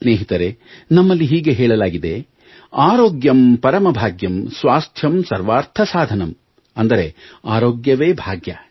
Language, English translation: Kannada, Friends, we are familiar with our adage "Aarogyam Param Bhagyam, Swasthyam Sarwaarth Sadhanam" which means good health is the greatest fortune